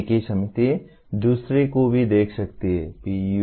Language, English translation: Hindi, The same committee can look at the other one as well, PEOs